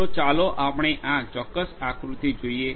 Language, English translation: Gujarati, So, let us look at this particular diagram